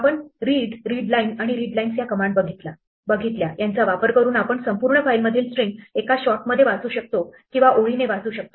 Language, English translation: Marathi, We saw that read, readline and readlines, using this we can read the entire file in one shot of the string or read it line by line